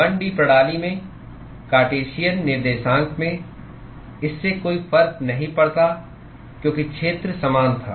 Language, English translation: Hindi, In a 1 D system, in Cartesian coordinates, it did not matter because the area was same